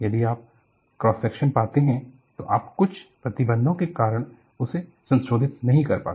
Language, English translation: Hindi, If you find the cross section, you cannot modify because of certain restriction